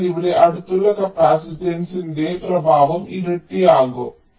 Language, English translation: Malayalam, so here the effect of the adjacent capacitance will get doubled